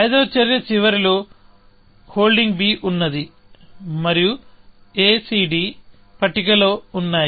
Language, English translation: Telugu, So, at the end of fifth action, I am holding b, and a c d are on the table